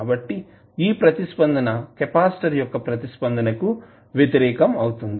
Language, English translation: Telugu, So, this is just opposite to our response capacitor response